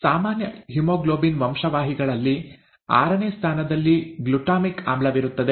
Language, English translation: Kannada, In a normal haemoglobin gene, there is a glutamic acid in the sixth position